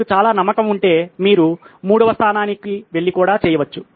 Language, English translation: Telugu, If you are very confident you can even go to the 3rd one and do it